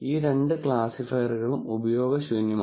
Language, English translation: Malayalam, So, both of these classifiers are useless